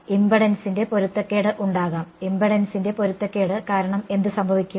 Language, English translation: Malayalam, There can be a mismatch of impedance and because of mismatch of impedance what will happen